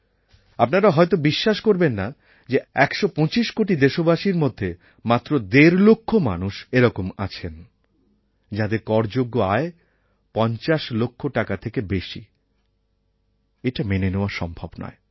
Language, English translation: Bengali, None of you will believe that in a country of 125 crore people, one and a half, only one and a half lakh people exist, whose taxable income is more than 50 lakh rupees